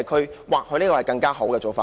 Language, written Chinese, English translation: Cantonese, 這或許是更好的做法。, This may be a better idea